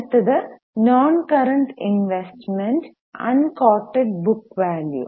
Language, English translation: Malayalam, Next is non current investment uncoded book value